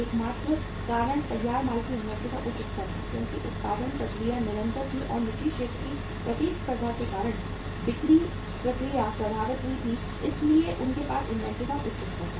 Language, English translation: Hindi, The only reason was very high level of inventory of the finished goods because production process was continuous and selling process was affected because of the competition from the private sector so they had the high level of inventory